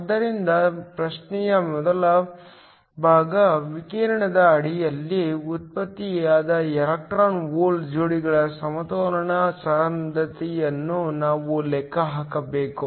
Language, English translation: Kannada, So, the first part of the question, we need to calculate the equilibrium density of the electron hole pairs generated under radiation